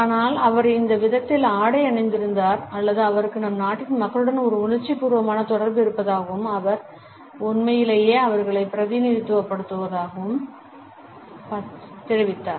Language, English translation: Tamil, But the very fact that he was dressed in this manner suggested that he had an emotional attachment with the masses of our country and he truly represented them